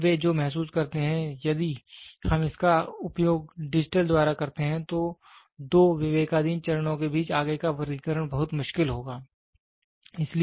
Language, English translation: Hindi, And now what they realize is if we use it by digital, further classification between the two discretization steps becomes very difficult